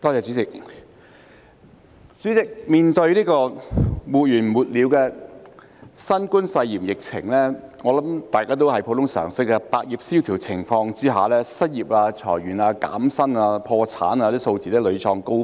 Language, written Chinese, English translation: Cantonese, 代理主席，面對沒完沒了的新冠肺炎疫情，我想大家根據普通常識也知道，在百業蕭條的情況下，失業、裁員、減薪和破產等數字必然屢創高峰。, Deputy President I think it is common sense that in the face of the endless COVID - 19 pandemic the figures of unemployment layoff pay reduction bankruptcy and so on will inevitably reach new highs when there is a general slump in the market for all trades